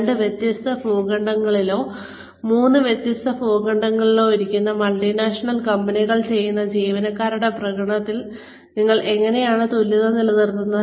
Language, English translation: Malayalam, How do you maintain parity between the performance of employees, who are sitting on two different continents, or three different continents, multinational companies are doing